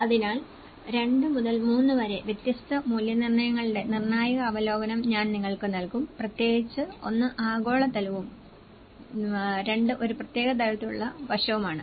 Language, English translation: Malayalam, So, I will just give you a little of critical review of 2 to 3 different assessments and especially, one is a global level and one, two are at a specific level aspect